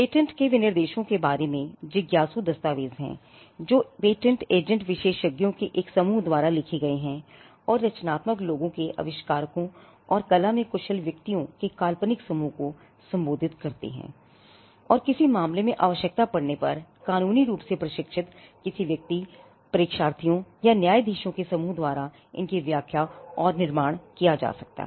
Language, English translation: Hindi, Patent specifications are curious documents in that they are written by a group of experts patent agents, embody the rights of a group of creative people inventors, are addressed to a hypothetical group of skill persons whom we call the person skilled in the art and may if the case so demands be interpreted and constructed by a legally trained group of persons, examiners and judges